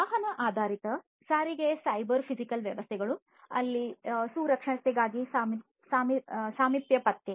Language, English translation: Kannada, Vehicle based transportation cyber physical systems where proximity detection for safety you know